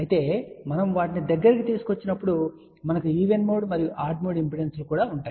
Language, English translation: Telugu, However when we bring them closer then we will have even mode and odd mode impedances